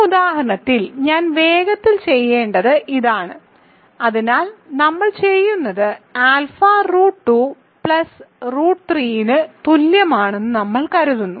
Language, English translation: Malayalam, So, this is what I want quickly do in this example, so what we do is we consider alpha equals root 2 plus root 3